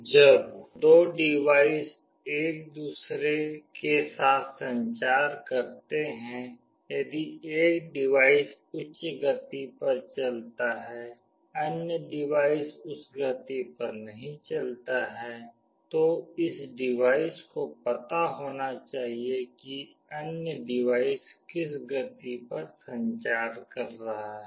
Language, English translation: Hindi, When 2 devices communicate with each other, if one device runs at a higher rate other device does not runs at that rate, this device must know at what rate the other device is communicating